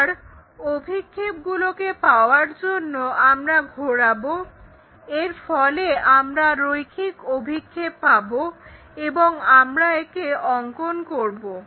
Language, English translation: Bengali, Then, whatever the projections we get like rotate that, so we will have that line projections and so on we will construct it